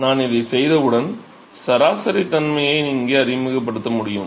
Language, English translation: Tamil, So, once I do this, I can introduce the averaging property here